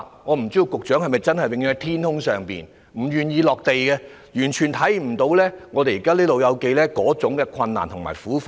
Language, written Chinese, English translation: Cantonese, 我不知道局長是否永遠待在天空上，不願意"落地"，完全看不到香港"老友記"現時的困難和苦況。, I wonder if the Secretary always stays high up in the sky unwilling to come down to earth . He completely fails to see the present difficulties and plights of the elderly in Hong Kong